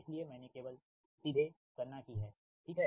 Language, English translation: Hindi, so i have only computed directly, right